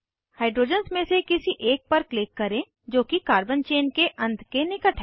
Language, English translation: Hindi, Click on one of the hydrogens, that is close to the end of the carbon chain